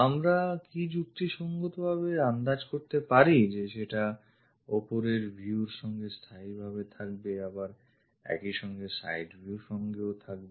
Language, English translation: Bengali, Can we reasonably guess is that consistent with top view at the same time is it consistent with the side view